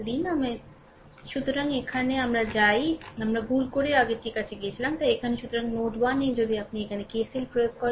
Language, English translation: Bengali, So, here, right; so, we go we went to that previous one by mistake; so, here; so, node 1 if you apply KCL here